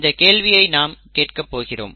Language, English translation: Tamil, That is a question that we are going to ask now, okay